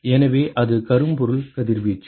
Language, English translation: Tamil, So, it is a blackbody radiation